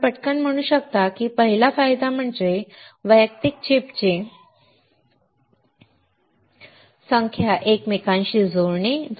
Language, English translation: Marathi, You can quickly say; first advantage is interconnecting number of individual chips